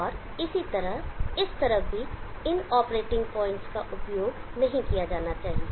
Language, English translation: Hindi, And likewise, on this side also these operating points are not suppose to be used